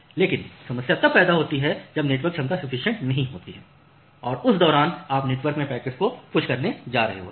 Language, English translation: Hindi, But the problem starts occurring when the network capacity is not sufficient and during that time you are going to push the packets in the network